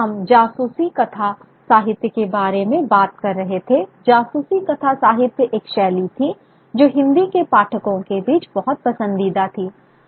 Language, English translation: Hindi, Detective fiction was a genre which was very, very great favorite among the readers of Hindi